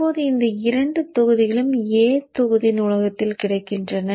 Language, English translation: Tamil, Now these two blocks are available in the A block library